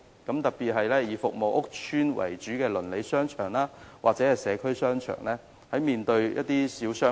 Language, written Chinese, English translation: Cantonese, 這問題在以服務屋邨為主的鄰里商場或社區商場特別顯著。, This problem is particularly obvious for neighbourhood or community shopping arcades serving public housing estates